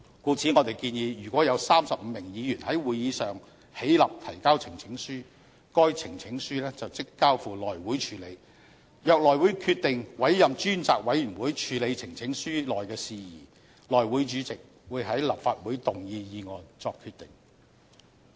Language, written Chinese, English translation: Cantonese, 故此，我們建議如果有35名議員在會議上起立提交呈請書，該呈請書即交付內務委員會處理；若內務委員會決定委任專責委員會處理呈請書內事宜，內務委員會主席會在立法會動議議案作決定。, Hence we propose that if 35 Members rise in support of a petition at a Council meeting the petition shall immediately be referred to House Committee; and if House Committee concludes that a select committee be appointed to handle the matter raised in the petition the chairman of the House Committee shall move a motion in the Council to decide the manner of consideration of the petition